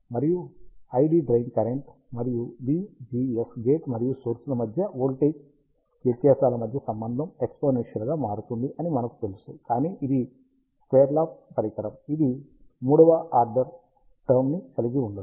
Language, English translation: Telugu, And we know that, the relation between I D drain current, and the V GS the voltage difference between the gate and the source, again varies exponentially, but this is the square law device, it does not contain a third order term